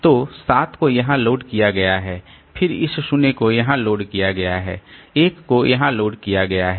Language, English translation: Hindi, So 7 has been loaded here then this 0 has been loaded here, 1 has been loaded here